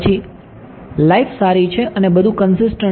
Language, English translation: Gujarati, Then life is good and everything is consistent